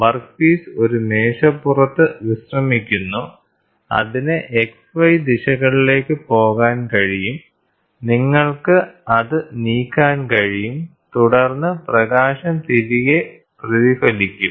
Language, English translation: Malayalam, And then the workpiece is resting on a table, which can go in X and Y direction you can move it and then the light gets reflected back